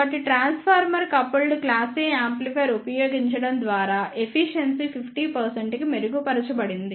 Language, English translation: Telugu, So, by using transformer coupled class A amplifier the efficiency has been improved to 50 percent